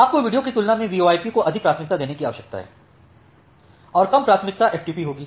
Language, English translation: Hindi, So, you need to give more priority to VoIP than the video and the less priority will be the FTP